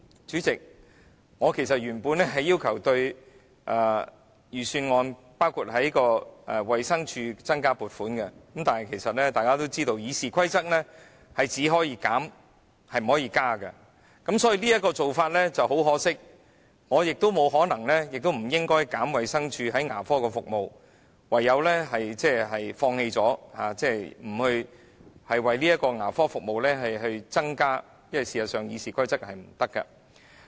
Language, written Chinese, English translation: Cantonese, 主席，我其實原本是要求預算案增加撥款，包括向衞生署增加撥款，但大家也知道，根據《議事規則》，我們只可以削減，卻不可以增加，因此很可惜，而我亦沒有可能或不應削減衞生署提供的牙科服務，唯有放棄建議向牙科服務增加撥款，因為《議事規則》是不容許的。, Chairman originally I intended to request an increase in fund allocation including that to the Department of Health in the Budget but as we all know according to the Rules of Procedure we can only propose reductions but not increases . In view of this it is impossible for me nor should I scale back the dental service provided by the Department of Health so I can only give up putting forward the proposal of increasing the fund allocation for dental service as this is not permitted under the Rules of Procedure